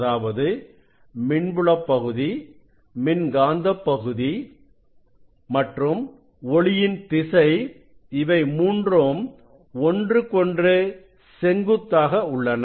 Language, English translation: Tamil, That means, this electric field component, magnetic field component and direction of propagation they are mutually perpendicular